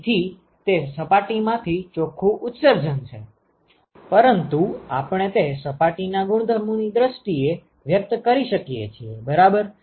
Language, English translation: Gujarati, So, it is the net emission from that surface, but that we can express in terms of the properties of the surface right